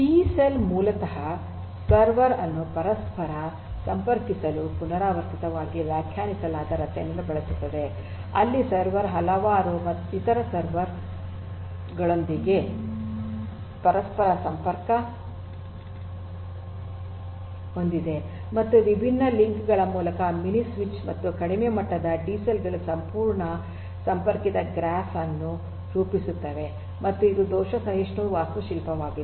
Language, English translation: Kannada, So, a DCell basically uses a recursively defined structure to interconnect the server, where the server is interconnected to several other servers and a mini switch via different communication links and the low level DCells form a fully connected graph and there are these fault tolerant architecture that we have seen